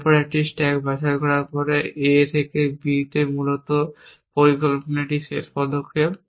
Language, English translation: Bengali, After that after pick in up a stack A on to B in that is a last step in the plan essentially